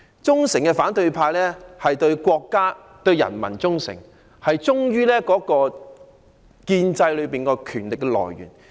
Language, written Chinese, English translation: Cantonese, 忠誠的反對派對國家和人民忠誠，忠於建制內的權力來源。, The loyal opposition is loyal to the country and the people and loyal to the source of power within the establishment